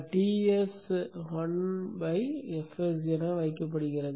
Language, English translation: Tamil, TS has been put as 1 by F s